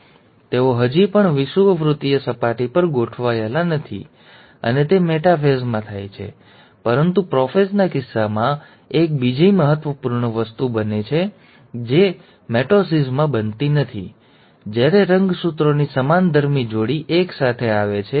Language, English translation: Gujarati, Here they are still not arranged at the equatorial plane, and that happens in the metaphase; but in the case of prophase, there is one another important thing which happens, which does not happen in mitosis, is that, when the homologous pair of chromosomes come together